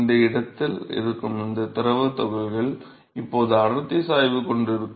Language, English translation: Tamil, So, these fluid particles which is present in this location will now have a density gradient